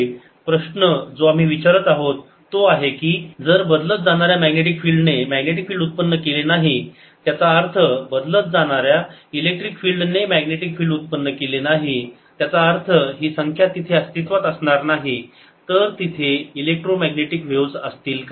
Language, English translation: Marathi, the question we are asking is: if a changing magnetic field did not give rise to magnetic field, that means if or changing electric field did not give rise to a magnetic field, that means this term did not exists, would electromagnetic waves be there